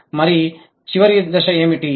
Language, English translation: Telugu, And what is the final stage